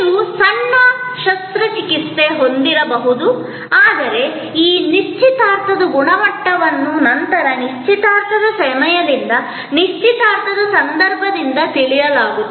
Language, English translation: Kannada, May be you have a minor surgery, but the quality of this engagement will be known later, much later from the time of engagement, from the occasion of engagement